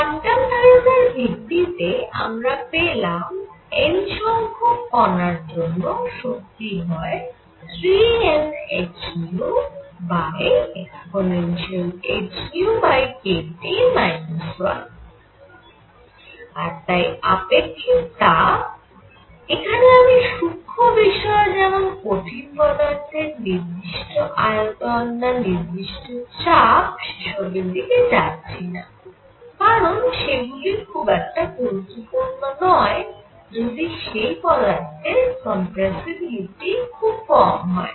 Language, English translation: Bengali, So, we found applying quantum ideas energy for N particles is going to be 3 N h nu over e raise to h nu over k T minus 1 and therefore, specific heat; I am not going to the certainties of whether it is constant volume or constant pressure for solids, it does not really matter if their compressibility is very small